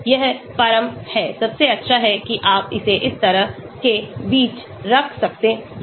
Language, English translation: Hindi, This is the ultimate, the best that you can have it between like this